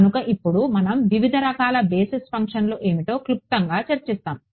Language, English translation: Telugu, So, now like we will have a brief discussion of what are the kinds of basis functions